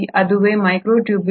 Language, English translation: Kannada, That is what is a microtubule